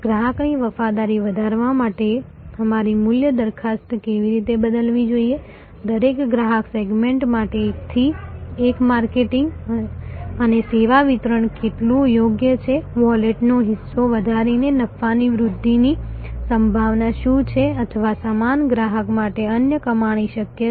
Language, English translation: Gujarati, That how should our value proposition change to increase customer loyalty, how much customization were one to one marketing and service delivery is appropriate for each customer segment, what is incremental profit potential by increasing the share of wallet or the other earning possible for the same customer, how much does this vary by customer tier or segment